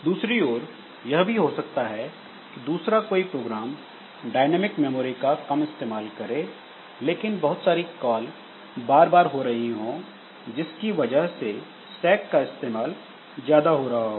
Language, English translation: Hindi, On the other hand some program may be using less of dynamic memory but it may have lot of recursive calls as a result it creates a it utilizes the stack a lot